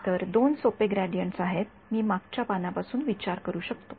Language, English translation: Marathi, So, there are two simple gradients I can think of from the previous page